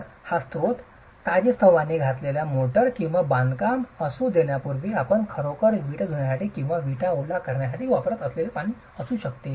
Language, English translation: Marathi, So, one source could be the freshly laid motor or the water that you use to actually wash the bricks or wet the bricks before construction